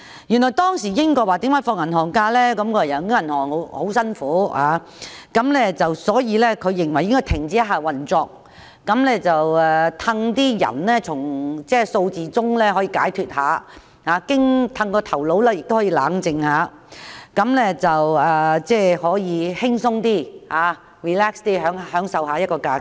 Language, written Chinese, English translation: Cantonese, 原來銀行的工作十分辛苦，所以當局認為應該有數天停止運作，讓僱員從數字中得到解脫，頭腦亦可以冷靜一下，可以輕鬆的享受假期。, Back in the days it was tough to work in a bank and the authorities thus decided to provide bank staff with some days off for them to escape from numbers and refresh themselves by enjoying holidays in a relaxed way